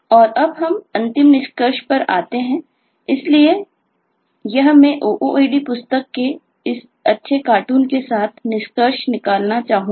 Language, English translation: Hindi, so this I would like to conclude with this nice eh kind of cartoon from the ooad book